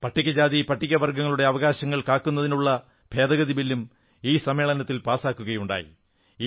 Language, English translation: Malayalam, An amendment bill to secure the rights of scheduled castes and scheduled tribes also were passed in this session